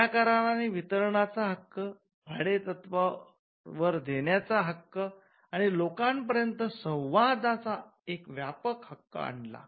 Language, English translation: Marathi, It introduced the right of distribution; it introduced the right of rental and a broader right of communication to the public